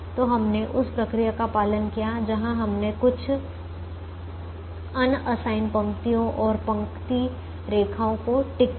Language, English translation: Hindi, so we followed the procedure where we we ticked some unassigned rows and row lines